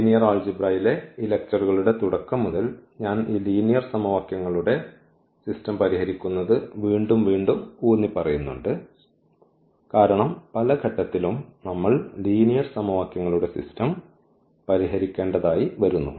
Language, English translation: Malayalam, So, from the beginning of this lectures in linear algebra I am emphasizing again and again on this system of linear equations because at each and every step finally, we are solving the system of linear equations